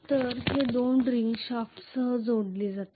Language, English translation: Marathi, So these two rings will be connected along with a shaft